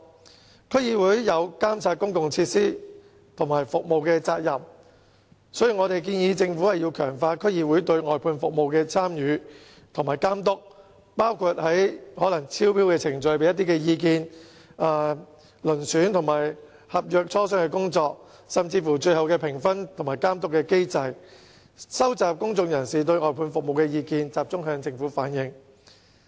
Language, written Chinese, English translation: Cantonese, 鑒於區議會有監察公共設施和服務的責任，因此我們建議政府強化區議會對外判服務的參與和監督，包括可能在招標過程中提供意見，以及參與遴選合約和磋商合約，以至最後評分和監督機制等工作，以及收集公眾人士對外判服務的意見，並集中向政府反映。, In view of the responsibility of DCs in monitoring the provision of public facilities and services we propose that the Government promote the participation of DCs in outsourcing services and monitoring such services including offering advice in the process of tendering and taking part in the selection of tenders and negotiation of contracts and even providing input in such areas as the final scores awarded the monitoring mechanism and the collection of public opinions on outsourced services which can then be reflected to the Government collectively